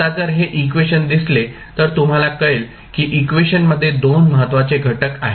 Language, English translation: Marathi, Now, if you see this particular equation you will come to know there are 2 important components in the equation